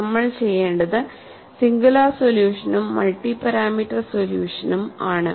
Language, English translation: Malayalam, And what we will do is we will see the singular solution as well as multi parameter solution